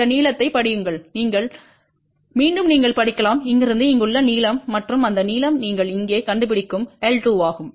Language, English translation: Tamil, Read this length ok again you can read the length from here to here and that length is l 2 which you locate here